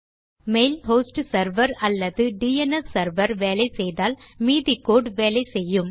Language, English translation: Tamil, Presuming this mail host server or DNS server works, then the rest of the code will work